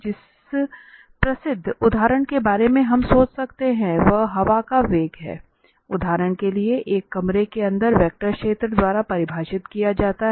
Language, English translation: Hindi, The well known example we can think of is the velocity of the air for instance inside a room is defined by a vector field